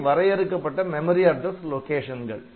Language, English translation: Tamil, So, there are fixed memory addresses where this location